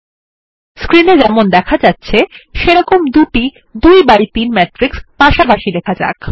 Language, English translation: Bengali, First let us write two example 2 by 3 matrices side by side as shown on the screen